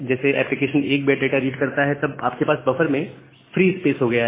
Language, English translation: Hindi, The moment application reads 1 byte of data; you have a free space here in the buffer